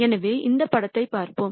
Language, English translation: Tamil, So, let us look at this picture here